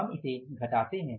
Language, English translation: Hindi, So, this is 2